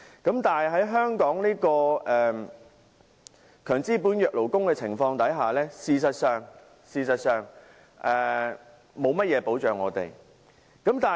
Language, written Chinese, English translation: Cantonese, 不過，在香港強資本弱勞工的環境，事實上勞工沒有甚麼保障。, In an environment where capitalists are strong and workers disadvantaged there is no protection whatsoever for labour